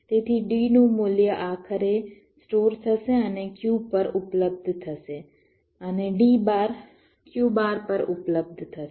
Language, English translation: Gujarati, so the value of d will ultimately be stored and will be available at q and d bar will be available at q bar